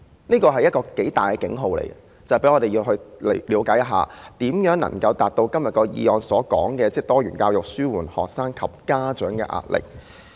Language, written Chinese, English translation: Cantonese, 這是一個很大的警號，讓我們了解如何能夠達到今天議案所說的"落實多元教育紓緩學生及家長壓力"。, This is a very big warning signal for us to understand how we may achieve Implementing diversified education to alleviate the pressure on students and parents proclaimed in the motion today